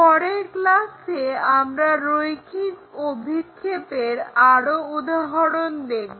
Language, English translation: Bengali, In the next classes we will look at more examples in terms of this line projections